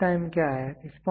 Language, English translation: Hindi, What is response time